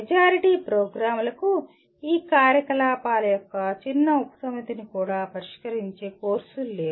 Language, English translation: Telugu, Majority of the programs do not have courses that address even a small subset of these activities